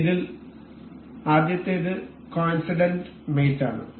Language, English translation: Malayalam, First of this is the coincident mate